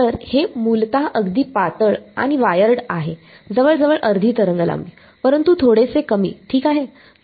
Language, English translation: Marathi, So, it is basically a very thin wired almost half a wavelength, but slightly less ok